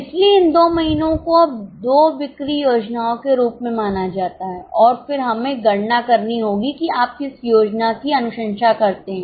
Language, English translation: Hindi, So, these two months are treated as two sales plans and then we have to calculate which plant do you recommend